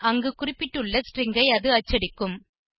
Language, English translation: Tamil, And it will print out the string that is specified there